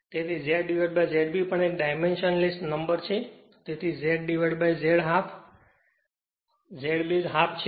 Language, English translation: Gujarati, So, Z by Z B is a dimension less quantity so, it will be Z divided by Z base is half